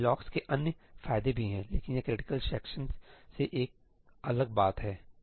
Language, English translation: Hindi, There are other advantages of locks, also, but this is one differentiating thing from critical sections